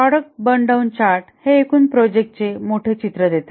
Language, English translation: Marathi, The product burn down chart gives the big overall picture